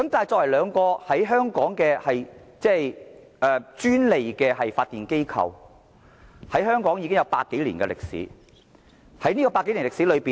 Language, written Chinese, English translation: Cantonese, 作為在香港享有專利發電權的機構，兩間電力公司在香港已有百多年歷史。, As the franchised power companies in Hong Kong the two power companies have been operating in the territory for over a century